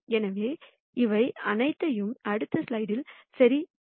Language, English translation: Tamil, So, let us verify all of this in the next slide